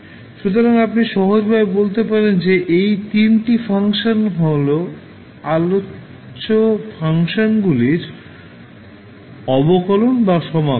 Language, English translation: Bengali, So, you can simply say that these 3 functions are either the derivative or integration of the functions which we discussed